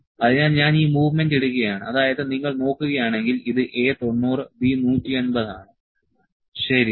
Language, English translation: Malayalam, So, I am putting this movement; that means to, if you see this is A 90 B 180, ok